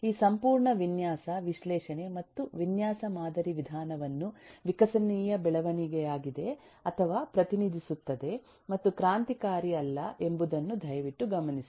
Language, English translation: Kannada, please note that this whole design, analysis and design paradigm, eh methodology has been a eh or represents an evolutionary development and not a revolutionary one